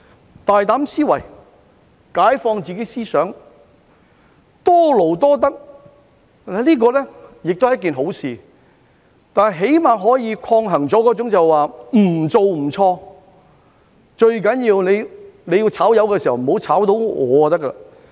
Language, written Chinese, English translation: Cantonese, 有大膽思維、解放自己思想、多勞多得，這是一件好事，起碼可以抗衡那種"不做不錯"、"最重要遭解僱的不是我"的心態。, It is a good thing to think boldly emancipate our mind and earn more for more work . This can at least counteract the mentality of he who does nothing makes no mistakes and it is only important not to be the one who got fired